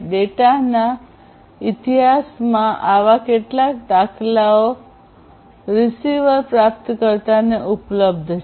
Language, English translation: Gujarati, So, in the history of the data how many such instances are available to the receiver